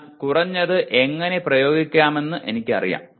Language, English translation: Malayalam, But at least I do not know how to apply